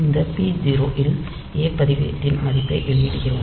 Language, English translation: Tamil, Then we are outputting this a register value onto this p 0